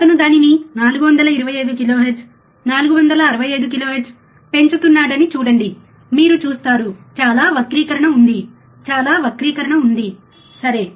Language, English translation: Telugu, See he is increasing it 425 kilohertz, 465 kilohertz, you see, there is lot of distortion, lot of distortion, right